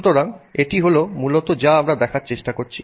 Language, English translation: Bengali, So, that's basically all we are trying to look at